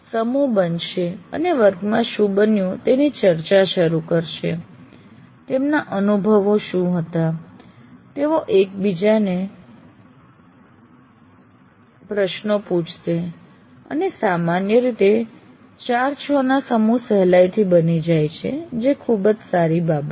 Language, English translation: Gujarati, Groups will form and start discussing what has happened in the class, what was their experiences, they will ask each other questions and generally groups of four, five, six seem to be readily forming in that, which is a very healthy thing